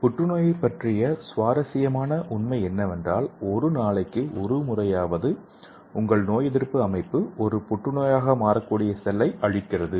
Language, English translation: Tamil, And the interesting fact about the cancer is at least once a day your immune system destroys a cell that would become a cancer cell if it lived